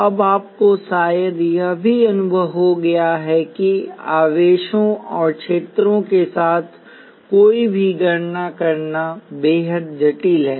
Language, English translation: Hindi, Now, you also probably have the experience that doing any calculations with charges and fields is immensely complicated